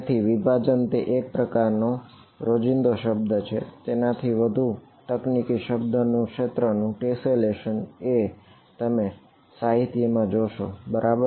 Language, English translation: Gujarati, So, breaking up is a sort of a colloquial word, the more technical word you will see in the literature is tesselation of the domain ok